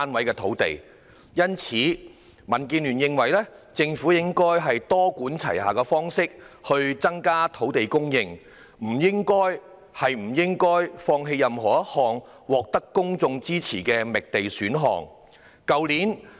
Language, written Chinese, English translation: Cantonese, 因此，民主建港協進聯盟認為政府應採取多管齊下的方式，以增加土地供應，不應放棄任何一項獲得公眾支持的覓地選項。, Hence the Democratic Alliance for the Betterment and Progress of Hong Kong DAB holds that the Government should adopt a multi - pronged approach to increase land supply . It should not give up any land supply option supported by the public